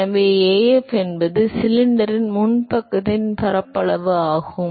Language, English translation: Tamil, So, Af is the surface area of the front side of the cylinder